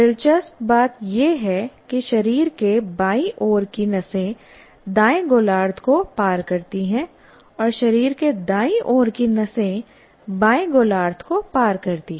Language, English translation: Hindi, Interestingly, nerves from the left side of the body cross over to the right hemisphere and those from the right side of the body cross over to the left hemisphere